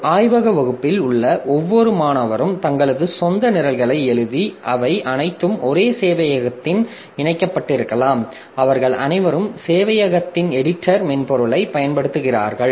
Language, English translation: Tamil, So, each student in a laboratory class may be writing their own programs and all of them connected to a server and they are all using the editor software of the server